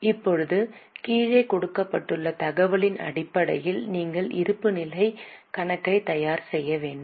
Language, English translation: Tamil, Now on the basis of information given below you have to calculate and prepare the balance sheet